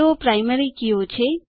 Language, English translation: Gujarati, They are the Primary Keys